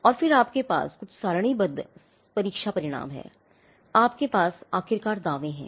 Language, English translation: Hindi, And then, you have some results, test results which they have tabulated, you have the claims finally, we claim